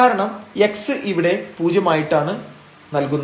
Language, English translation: Malayalam, So, let us assume that x is 0